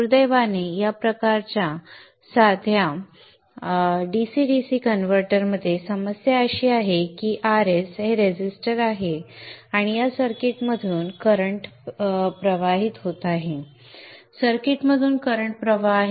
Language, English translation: Marathi, Unfortunately the problem with this type of simple DC DC converter is that RS is resistive, there is a current flowing through this circuit